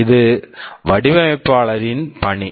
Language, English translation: Tamil, This is the task of the designer